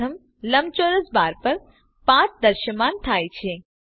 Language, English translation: Gujarati, A path has appeared on the first rectangle bar